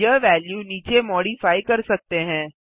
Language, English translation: Hindi, This value can be modified below